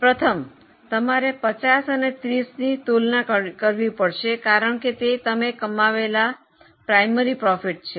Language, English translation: Gujarati, Firstly, you have to compare 50 and 30 because that is a primary profit you are earning